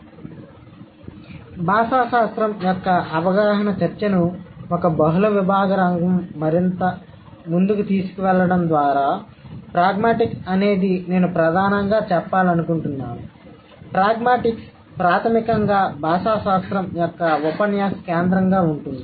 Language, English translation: Telugu, So, taking the discussion forward,, taking this kind of like the understanding of linguistics as a multidisciplinary field further, pragmatics is primarily, I would like to say, pragmatics is primarily the discourse centric domain of linguistics